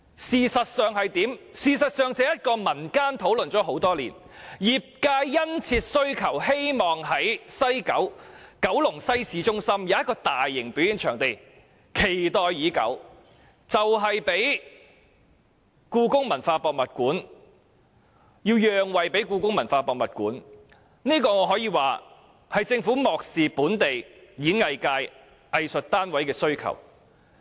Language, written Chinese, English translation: Cantonese, 事實上，這個場地業經民間討論多年，業界殷切希望能在九龍西市中心興建大型表演場地，可說是期待已久，但最終卻要讓位予香港故宮文化博物館，可見政府是如何漠視本地演藝界、藝術單位的需求。, But what is the truth? . As a matter of fact the plan has been under discussion in civil society for many years and trade members have expressed their keen hope for a large performing venue in the city centre of West Kowloon . Its development is much awaited but in the end the plan had to give way to the development of the Hong Kong Palace Museum and from this we can see how the Government has neglected the aspirations of the local entertainment industry and arts groups